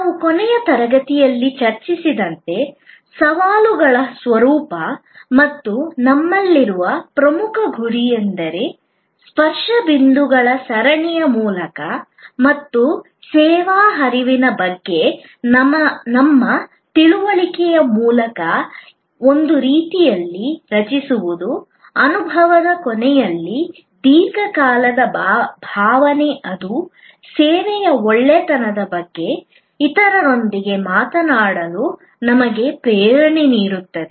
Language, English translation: Kannada, We discussed in the last session, the nature of challenges and the most important goal that we have is to create in some way through a series of touch points and our understanding of the service flow, a lingering good feeling at the end of the experience that will inspire us to talk to others about the goodness of a service